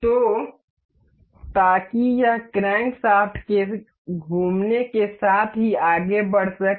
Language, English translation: Hindi, So, so that it can move as it as the crankshaft rotates